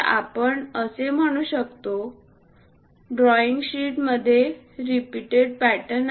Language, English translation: Marathi, So, we can say this repeated pattern in the drawing sheets